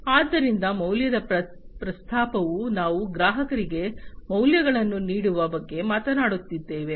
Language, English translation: Kannada, So, value proposition we are talking about offering values to the customers